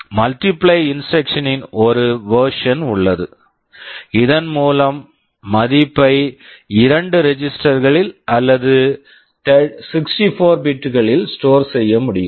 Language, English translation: Tamil, There is a version of multiply instruction where the result can be stored in two registers or 64 bits